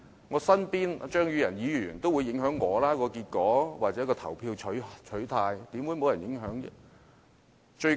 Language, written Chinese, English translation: Cantonese, 我身邊的張宇人議員亦會影響我的投票取態，試問怎會沒有影響呢？, Mr Tommy CHEUNG who is sitting next to me may also influence my voting preference . How can there be no influence?